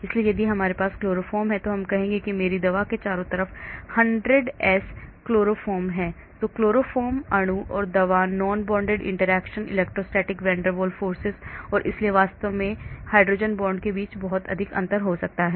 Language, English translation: Hindi, so if I have , say chloroform there will be say 100s of chloroforms surrounding my drug then there could be lot of interactions between chloroform molecule and the drug, non bonded interaction, electrostatic, van der Waals and so on actually or hydrogen bonds